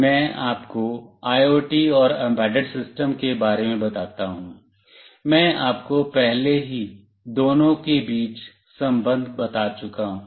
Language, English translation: Hindi, Let me tell you about IoT and embedded system, I have already told you the relation between the two